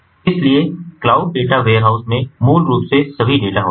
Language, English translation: Hindi, so cloud data ware house basically has all the data